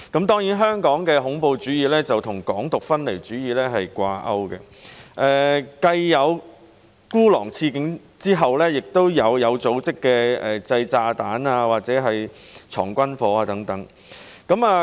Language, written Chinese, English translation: Cantonese, 當然，香港的恐怖主義跟"港獨"分離主義掛鈎，繼孤狼刺警後，又出現有組織的製造炸彈和收藏軍火等案件。, Of course here in Hong Kong terrorism is linked to Hong Kong independence an idea of separatism . Soon after the lone - wolf stabbing of a police officer there came the cases of organized bomb - making and firearms possession